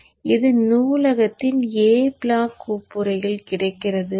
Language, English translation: Tamil, So it is available in that a block folder of the library